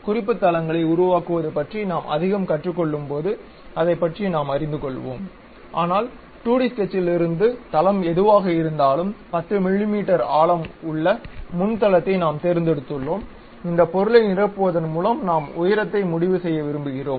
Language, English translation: Tamil, When we are learning more about planes of reference constructing that we will learn about that, but from the 2D sketch whatever the plane the front plane we have chosen 10 mm depth or perhaps height we would like to really go by filling this material